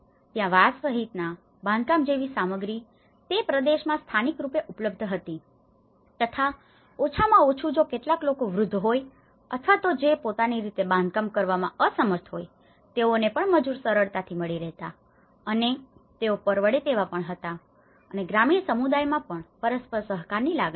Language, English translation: Gujarati, Construction materials including bamboo were available locally in that region and at least if some elderly people or if they are unable to make their own can self built self help construction then still the labour was easily accessible and they were affordable as well and rural communities have a deep rooted sense of mutual cooperation